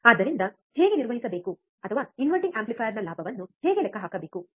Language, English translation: Kannada, So, how to perform or how to calculate the gain of an inverting amplifier